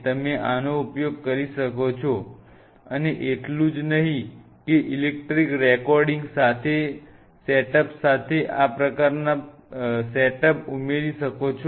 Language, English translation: Gujarati, You can use this and not only that there are these kinds of setup added up with electrical recording setups